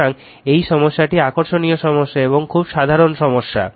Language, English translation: Bengali, So, this problem is interesting problem and very simple problem